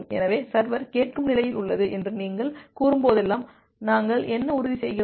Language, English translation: Tamil, So, whenever you say that is the server is in the listen state, what we are ensuring